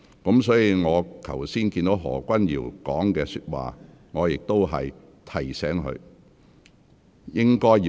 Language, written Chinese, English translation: Cantonese, 我剛才聽到何君堯議員的發言，我已提醒他。, Earlier on having listened to Dr Junius HOs speech I have reminded him